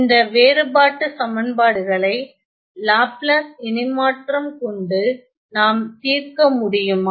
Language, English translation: Tamil, Now, can we solve this differences equation using Laplace transform